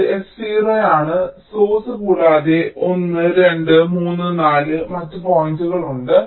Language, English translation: Malayalam, this s zero is the source and there are one, two, three, four other points